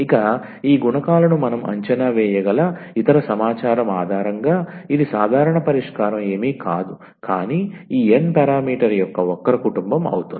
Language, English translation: Telugu, So, based on the other information which we can evaluate these coefficients because this is the general solution is nothing, but the family of the curves of this n parameter